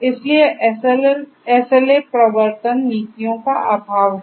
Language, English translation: Hindi, So, there is lack of SLA enforcement policies